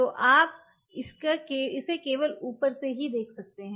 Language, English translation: Hindi, So, your only we can view it is from the top